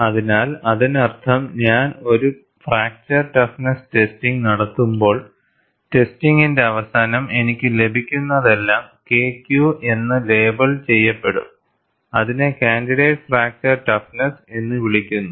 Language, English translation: Malayalam, So, that means, when I perform a fracture toughness testing, at the end of the test, whatever I get is labeled as K Q; which is called candidate fracture toughness